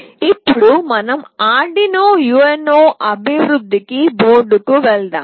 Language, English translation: Telugu, Let us now move on to Arduino UNO development board